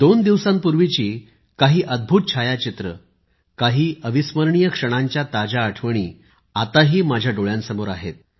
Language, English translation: Marathi, A few amazing pictures taken a couple of days ago, some memorable moments are still there in front of my eyes